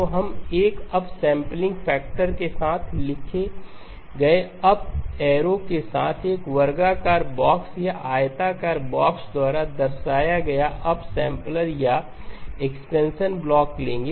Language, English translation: Hindi, So we will take the upsampler or the expansion block indicated by a square box or rectangular box with the up arrow written with an upsampling factor